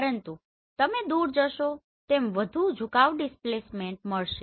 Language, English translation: Gujarati, But as you go away you will find more tilt displacement